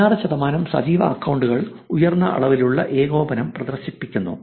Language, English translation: Malayalam, 16 percent of the active accounts exhibit a high degree of co ordination